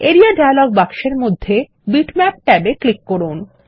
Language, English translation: Bengali, In the Area dialog box, click the Bitmaps tab